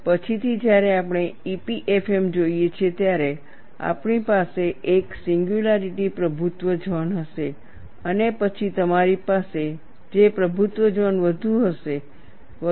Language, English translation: Gujarati, Later on, we will look at EPFM, we will have a singularity dominated zone, then you have a j dominated zone and so on